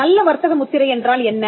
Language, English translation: Tamil, What is a good trademark